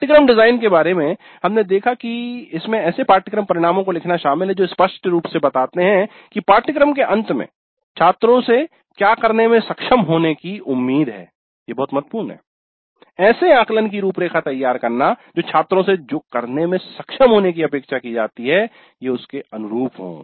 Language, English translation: Hindi, The course design we saw consists of writing course outcomes that clearly state what the students are expected to be able to do that is very important what the students are expected to be able to do at the end of the course